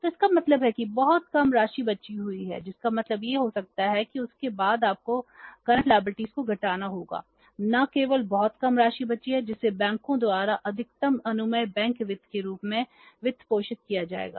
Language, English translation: Hindi, It means after that you have to subtract the current liabilities and only very small amount is left which will be funded by the banks in the form of maximum permissible bank finance